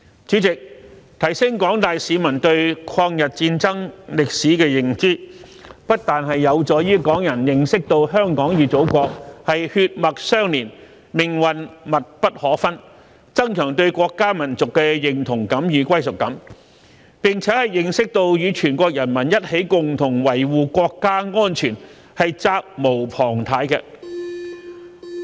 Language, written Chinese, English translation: Cantonese, 主席，提升廣大市民對抗日戰爭歷史的認知，不但有助於港人認識到香港與祖國血脈相連，命運密不可分，增強對國家、民族的認同感與歸屬感，並且認識到與全國人民一起共同維謢國家安全是責無旁貸的。, President enhancing public awareness of the history of the War of Resistance will not only help Hong Kong people realize that Hong Kong and our Motherland are inextricably bound together by blood and share the same destiny and enhance their sense of national and ethnic identity and belonging but can also enable them to understand that they are duty - bound to safeguard national security together with the people of the whole country